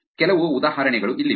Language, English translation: Kannada, Here are some examples